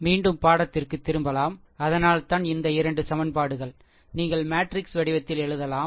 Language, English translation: Tamil, So, that is why this your this 2 equations, you can write in the matrix form, right